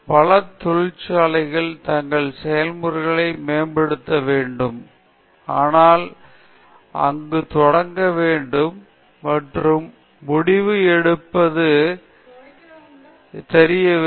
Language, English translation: Tamil, Many industries want to optimize their processes, but did not know where to start and where to end